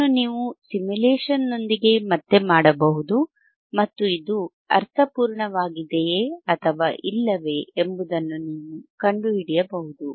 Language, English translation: Kannada, This you can do again with simulation, and you can find it whetherif it makes sense or not, right